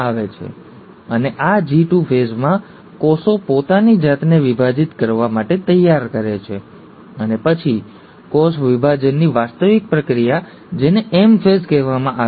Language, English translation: Gujarati, And in this G2 phase, the cells prepare itself to divide, and then the actual process of cell division, which is called as the M phase